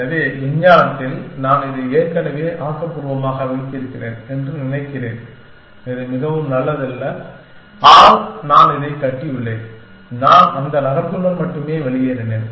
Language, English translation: Tamil, So, in the science that supposing I have already constructive this toward, which is not a very good toward but, I have constructed this and I only left with that city